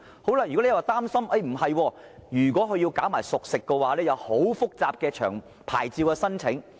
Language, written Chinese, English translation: Cantonese, 當局又擔心，如果商販售賣熟食，會涉及很複雜的牌照申請程序。, Yet the authorities are worried that if the traders sell cooked food very complicated licence application procedures will be involved